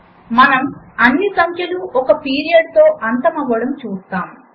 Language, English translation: Telugu, We observe that all the numbers end with a period